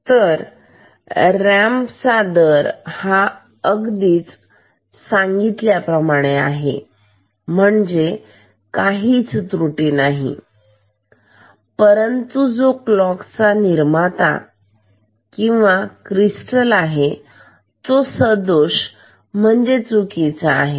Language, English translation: Marathi, So, a ramp rate is exactly what is written in the specification no error at all, but the clock generator or the crystal is slightly erroneous is erroneous ok